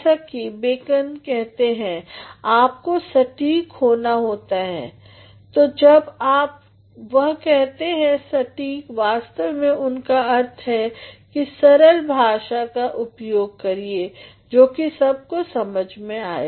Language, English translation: Hindi, As Bacon says, you have to be exact so, when he says exact, what actually he means is making use of plain language so that everybody can understand